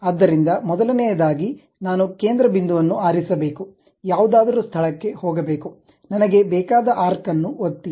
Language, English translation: Kannada, So, first of all I have to pick center point, go to some location, click arc I want